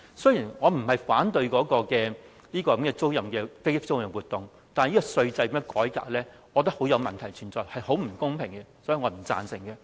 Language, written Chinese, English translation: Cantonese, 雖然我不是反對飛機租賃業務，但對於這樣的稅制改革，我覺得很有問題，非常不公平，所以我不贊成。, Although I am not against promoting the aircraft leasing business I find that this reform in the tax regime is very problematic and is very unfair . Hence I will not give my support to it . President I so submit